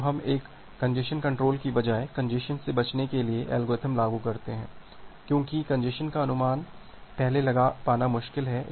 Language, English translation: Hindi, So, we apply something called a congestion avoidance algorithm rather than a congestion control because apriori estimation of congestion is difficult